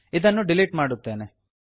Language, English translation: Kannada, Let me delete this